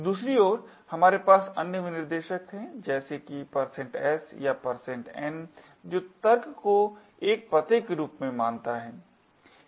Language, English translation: Hindi, On the other hand, we have other specifiers such as the % s or % n which considers the argument as an address